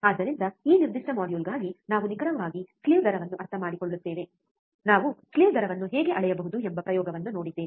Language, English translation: Kannada, So, for this particular module, we will we will we understood of what what exactly slew rate is we have seen an experiment how we can measure the slew rate ok